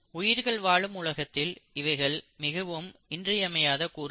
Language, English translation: Tamil, It is a very indispensable component of a living world